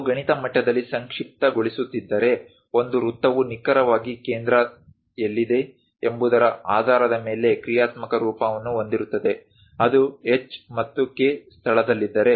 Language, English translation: Kannada, If we are summarizing at mathematical level; a circle have a functional form based on where exactly center is located, if it is located at h and k location